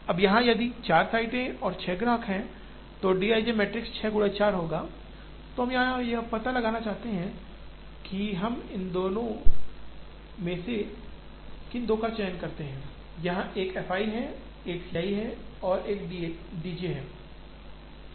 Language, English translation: Hindi, Now here, if there are 4 sites and 6 customers, the d i j matrix will be a 4 into 6 matrix then we want to find out, which two of these we select, there is an f i, there is an C i and there is a D j